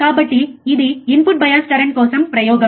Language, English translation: Telugu, So, this is experiment for input bias current